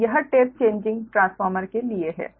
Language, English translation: Hindi, so this is for the tap changing transformer right now